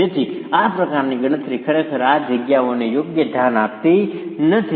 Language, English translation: Gujarati, So this sort of a calculation really does not give due consideration to these spaces